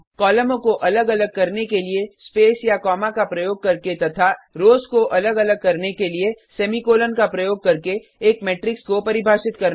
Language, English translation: Hindi, Define a matrix by using space or comma to separate the columns and semicolon to separate the rows